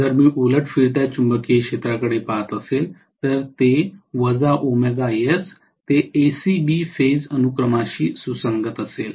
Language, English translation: Marathi, If I am looking at reverse rotating magnetic field, it will be minus omega S which is corresponding to ACB phase sequence